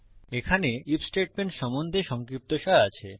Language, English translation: Bengali, Here we will discuss the IF statement